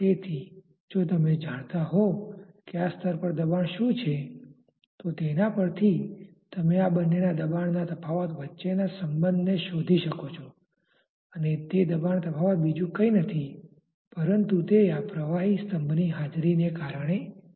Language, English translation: Gujarati, So, if you know, what is the pressure at this level then from that you can find out the relationship between the pressure difference of these two and that pressure difference is nothing but because of the presence of this much of liquid column